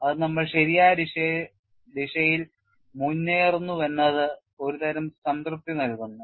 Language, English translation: Malayalam, So, this gives a comfort that we are preceding in the right direction